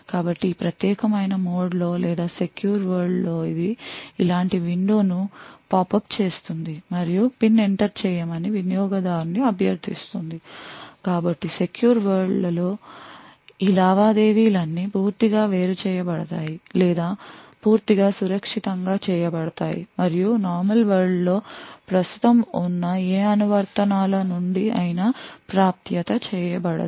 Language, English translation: Telugu, So in this particular mode or the secure world it would pop up a window like this and request the user to enter a PIN so all of this transactions in the secure world is completely isolated or completely done securely and not accessible from any of the applications present in the normal world